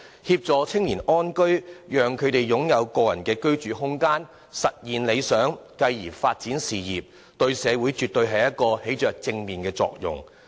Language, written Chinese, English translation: Cantonese, 協助青年人安居，讓他們擁有個人的居住空間，實現理想，繼而發展事業，這些對社會絕對起着正面作用。, Helping young people get a decent home so that they can have their own living space to realize their ideal and then develop their career definitely has positive impacts on society